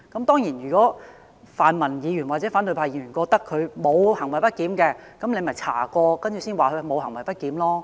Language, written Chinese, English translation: Cantonese, 當然，如果泛民議員或反對派議員認為他沒有行為不檢，大可透過調查來證實他沒有行為不檢。, Of course if Members from the pan - democratic camp or opposition camp think that he has not misbehaved we can have his misbehaviour or otherwise verified through an investigation